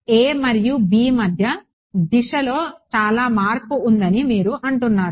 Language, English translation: Telugu, You are saying that between a and b, there is a big jump in direction